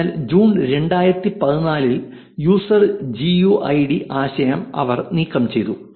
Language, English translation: Malayalam, So, the user GUID concept was removed on June 2014